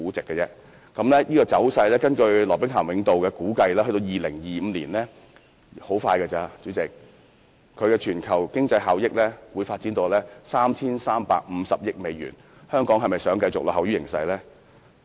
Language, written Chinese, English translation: Cantonese, 根據羅兵咸永道估計，這個走勢到2025年——代理主席，很快便會到來——在全球經濟效益中會發展到 3,350 億美元，香港是否想繼續落後於形勢呢？, According to the estimate of PricewaterhouseCoopers the trend of sharing economy will develop to be worth USD335 in global economy by 2025―Deputy President that will be very soon . Do we want Hong Kong to be in a continual lag?